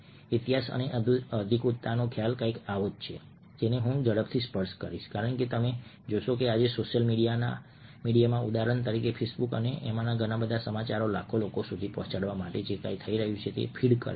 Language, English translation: Gujarati, the concept of history and authenticity is something which i will just quickly touch up on, because you see that today in social media, for instance on facebook and many of these news feeds, whatever is happening is reaching millions of people